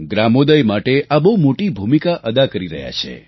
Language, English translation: Gujarati, It is playing a very important role for gramodaya